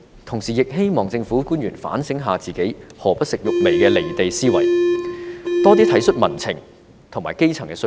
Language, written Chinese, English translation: Cantonese, 同時，我也希望政府官員反省自己"何不食肉糜"的"離地"思維，多體恤民情和基層的需要。, Meanwhile I also hope that the Government can reflect on their mentality of letting them eat cake which is detached from reality and show more compassion for public sentiments and the needs of the grass roots